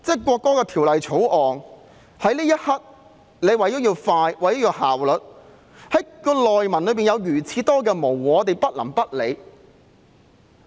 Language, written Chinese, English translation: Cantonese, 可是，《條例草案》在這一刻為了要快和有效率，條文中明明有很多模糊之處，我們不能不理。, However the Bill has to be passed right now for the sake of speed and efficiency even though there are many ambiguities in the provisions from the date to the overly heavy penalties which we cannot ignore